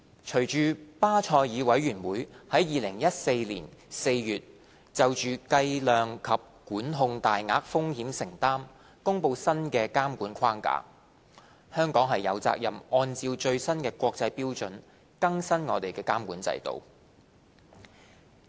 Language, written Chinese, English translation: Cantonese, 隨着巴塞爾委員會在2014年4月就計量及管控大額風險承擔公布新的監管框架，香港有責任按照最新國際標準，更新監管制度。, Following the release by the Basel Committee on Banking Supervision in April 2014 of a new supervisory framework for measuring and controlling large exposures it is incumbent upon Hong Kong to bring its regulatory regime up - to - date in accordance with the latest international standards